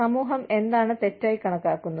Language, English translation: Malayalam, What does the society consider as wrong